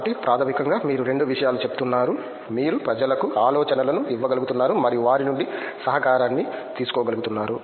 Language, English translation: Telugu, So, basically you are saying both you were able to you know give ideas to people and take ideas from them in a collaborative